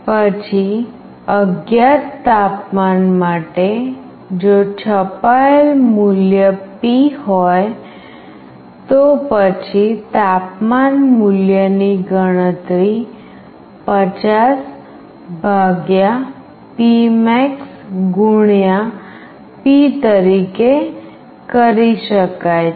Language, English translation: Gujarati, Then for an unknown temperature, if the value printed is P, then the temperature value can be calculated as 50 / P max * P